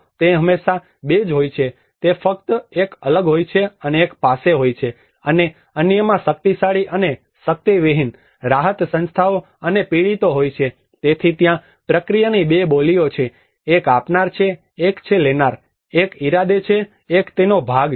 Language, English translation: Gujarati, It is always 2 they are just distinct one is the haves and the other one have nots, the powerful and the powerless, the relief organizations and the victims, so there is the 2 dialects of the process, one is a giver one is a taker, one is a intender one is the victim